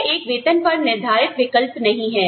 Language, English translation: Hindi, This is not a salary based choice